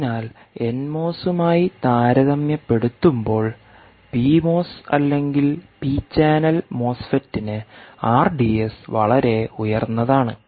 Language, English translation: Malayalam, so, compared to, you know, n mos, p mos or p channel mosfet, r d s is quite high, quite high